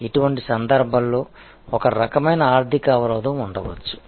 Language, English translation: Telugu, In such cases, there can be some kind of financial barrier